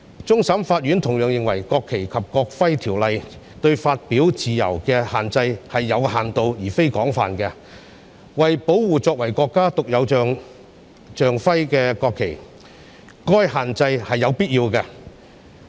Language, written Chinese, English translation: Cantonese, 終審法院同樣認為，《國旗及國徽條例》對發表自由的限制是有限度而非廣泛的，為保護作為國家獨有象徵的國旗，該限制是有必要的。, Hong Kong has a legitimate interest in protecting the national flag and the regional flag . The Court of Final Appeal also held that the restriction of the freedom of expression imposed by NFNEO is limited rather than wide . To protect the national flag which is a unique symbol of the State such restriction is necessary